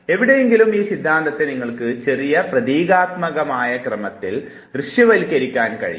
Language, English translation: Malayalam, So, some where you can visualize this theory in little symbolic order